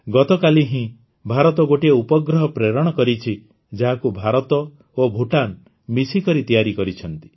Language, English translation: Odia, Just yesterday, India launched a satellite, which has been jointly developed by India and Bhutan